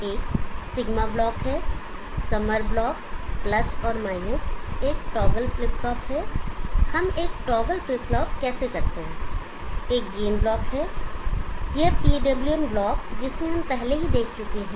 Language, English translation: Hindi, There is a sigma block, summer block + and there is a toggle flip flop how do we do a toggle flip flop, there is a game block if this PWM block we have already seen earlier